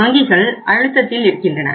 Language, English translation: Tamil, Banks are under the pressure